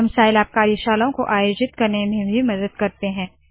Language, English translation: Hindi, We also help organize Scilab Workshops